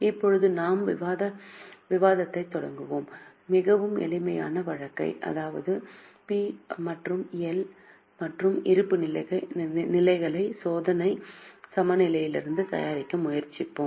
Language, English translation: Tamil, Now we will continue this discussion and try to prepare, take a very simple case and prepare P&L and balance sheet from trial balance